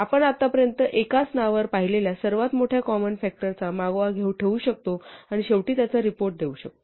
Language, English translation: Marathi, So, we may as well just keep track of the largest common factor we have seen so far in a single name and report it at the end